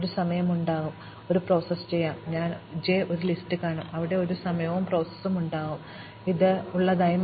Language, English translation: Malayalam, There will be a time and i is process and I will see j in this list and there will be a time and j is processed and I will see i in this list